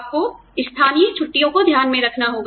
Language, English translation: Hindi, You have to take, local holidays into account